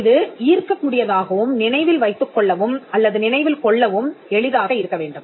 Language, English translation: Tamil, And it should be appealing and easy to remember or recollect